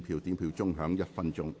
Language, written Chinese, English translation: Cantonese, 表決鐘會響1分鐘。, The division bell will ring for one minute